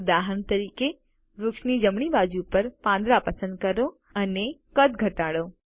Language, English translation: Gujarati, For example let us select the leaves on the right side of the tree and reduce the size